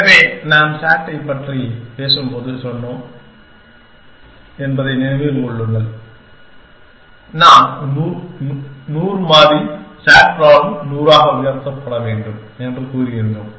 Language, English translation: Tamil, So, remember that we has said when we have talking about sat, we had said that a 100 variable SAT problem has to raised to 100, the size of the space is 2